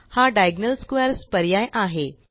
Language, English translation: Marathi, This is the Diagonal Squares option